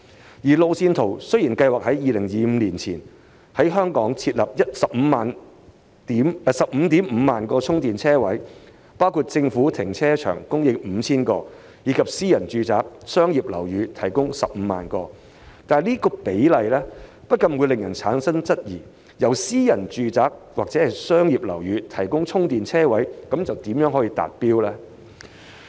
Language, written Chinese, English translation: Cantonese, 雖然按路線圖計劃在2025年前在本港設立 155,000 個充電車位，包括在政府停車場供應 5,000 個，以及在私人住宅和商業樓宇提供 150,000 個，但這比例不禁令人質疑，私人住宅或商業樓宇提供充電車位的目標如何達成。, As planned in the roadmap 155 000 charging spaces will be provided across Hong Kong by 2025 including 5 000 charging spaces in government car parks as well as 150 000 spaces in private residential and commercial buildings . Simply looking at the ratio one could not help but wonder how the objective of providing charging spaces in private residential and commercial buildings can be achieved